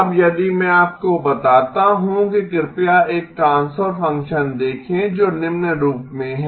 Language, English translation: Hindi, Now if I tell you please look at a transfer function which is of the following form